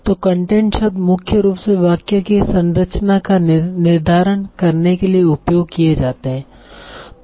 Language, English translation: Hindi, So content words are mainly used for determining the structure of the sentence